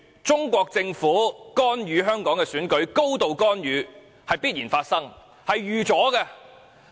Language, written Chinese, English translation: Cantonese, 中國政府高度干預香港的選舉是必然發生的，亦是意料之內。, It is all too natural for the Chinese Government to exercise a high degree of intervention in Hong Kongs elections and it is not surprising at all